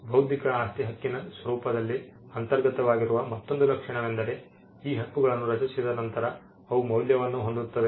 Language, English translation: Kannada, Another trait or something inherent in the nature of intellectual property right is that, these rights once they are created, they are valuable